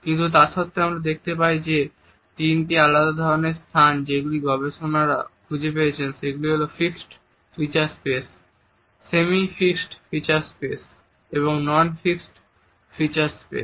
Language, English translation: Bengali, But despite it we find that the three different types of space which researchers have pointed out are the fixed feature space, the semi fixed feature space and the non fixed feature space